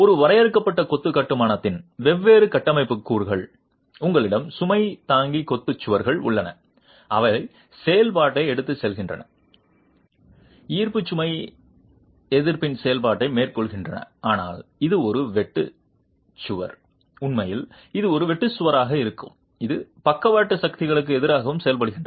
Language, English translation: Tamil, The different structural components of a confined masonry construction, you have the load bearing masonry walls, they carry the function, carry out the function of gravity load resistance, but this is this being a shear wall, actually this would be a shear wall, it also works against lateral forces